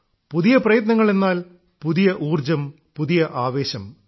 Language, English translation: Malayalam, And, new efforts mean new energy and new vigor